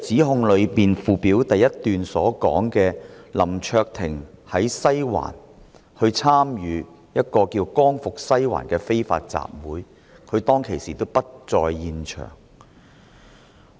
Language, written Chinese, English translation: Cantonese, 何議員議案第一段指出，林卓廷議員在西環參與名為"光復西環"的非法集會，但林議員當時並不在現場。, The first paragraph of Dr HOs motion states that Mr LAM Cheuk - ting participated in an unlawful assembly known as Liberate Sai Wan in Sai Wan but the fact is that Mr LAM was not on the scene at that time